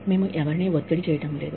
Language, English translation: Telugu, We are not pressurizing, anyone